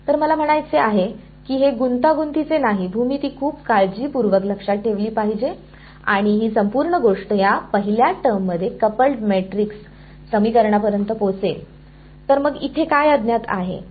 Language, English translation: Marathi, So, I mean it is not complicated, it is have to keep geometry very carefully in mind and this whole thing over here will boil down to a coupled matrix equation this first term over; so, what is the unknown over here